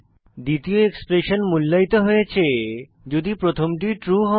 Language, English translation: Bengali, Second expression is evaluated only if the first is true